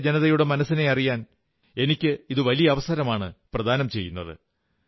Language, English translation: Malayalam, This has become a great opportunity for me to understand the hearts and minds of one and all